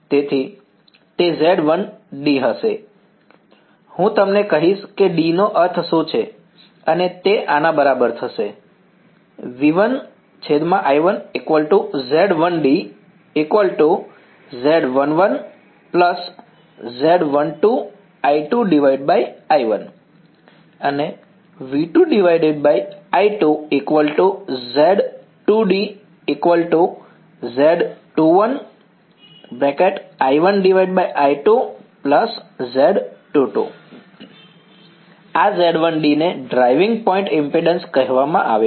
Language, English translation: Gujarati, So, that is going to be Z 1 d, I will tell you what d stands for and that is going to be equal to Z 1 1 plus Z 1 2 I 2 by I 1 and this Z 1 d is called the driving point impedance